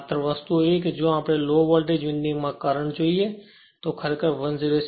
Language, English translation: Gujarati, Only thing is that if you look into that current in the low voltage winding it is actually 106